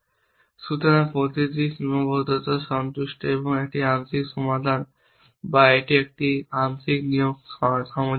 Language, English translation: Bengali, So, that every constraint is satisfied and a partial solution or a or a partial assignment is consistent